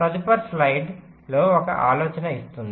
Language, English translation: Telugu, so the next slide will give an idea